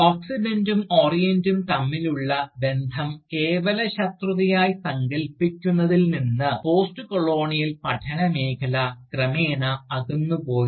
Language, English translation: Malayalam, The field of Postcolonial study, has gradually moved away, from conceiving the relationship between the Oxidant and the Orient, merely in terms of Antagonism